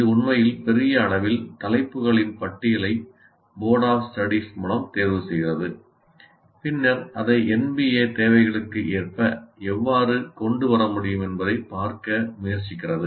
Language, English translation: Tamil, By and large it is really selecting a list of topics which is done by Board of Studies and then trying to see how we can bring it into in alignment with NBA requirements